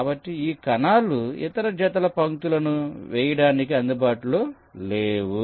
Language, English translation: Telugu, so these cells are no longer available for laying out the other pairs of lines